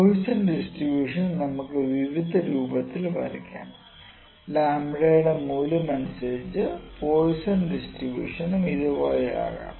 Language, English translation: Malayalam, Now, the Poisson distribution can take various forms here, depending upon the value of lambda the Poisson distribution maybe like this